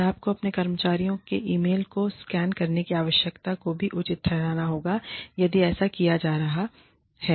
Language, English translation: Hindi, And, you must also justify, the need for scanning the emails of your employees, if it is being done